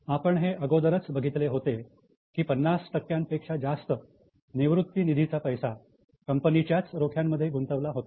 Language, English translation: Marathi, We have already seen this, that more than 50% of their retirement money was invested in their own stock